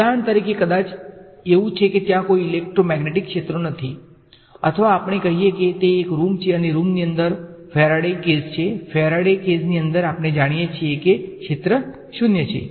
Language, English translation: Gujarati, For example, maybe it is there are there are no electromagnetic fields there or let us say it is a room and inside a room there is a Faraday cage, inside the Faraday cage we know that the field is 0